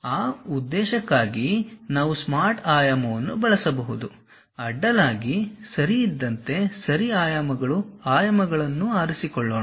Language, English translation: Kannada, For that purpose also, we can use smart dimension there is something like horizontally ok Ordinate Dimensions let us pick that